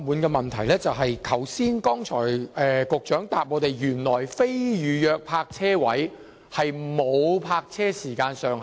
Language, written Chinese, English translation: Cantonese, 局長在剛才的答覆中指出，非預約泊車位不設時限。, The Secretarys earlier reply points out that no time limit will be set for non - reserved parking spaces